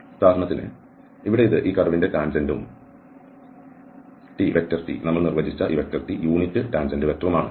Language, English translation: Malayalam, So, for instance here, this is the tangent of the curve and the unit tangent factor we have defined by this t vector